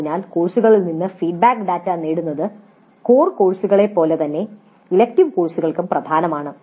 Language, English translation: Malayalam, So getting the feedback data from the courses is as important for elective courses as for core courses